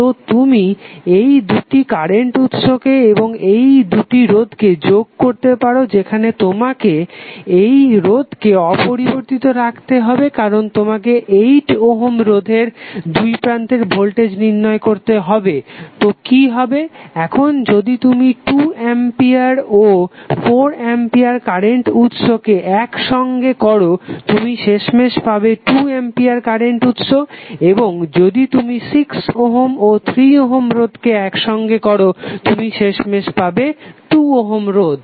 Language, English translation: Bengali, So you can club these two current sources and these two resistances while you have to leave this resistance intact because you need to find out the voltage across 8 ohm resistance so, what will happen, now if you club 2 ampere and 4 ampere current sources you will finally get 2 ampere current source and if you club 6 ohm and 3 ohm resistance you will get finally 2 ohm resistance